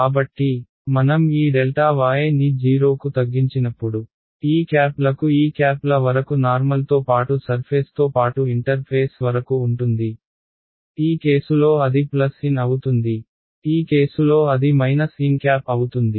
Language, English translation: Telugu, So, as I shrink this delta y down to 0 the normals to this to these caps will be along the normal to the surface itself right to the interface, in this case it will be plus n in this case it will be minus n hat right